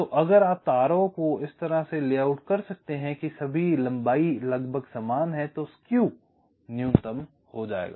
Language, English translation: Hindi, so if you can layout the wires in such a way that the lengths are all approximately the same, then skew minimization will take place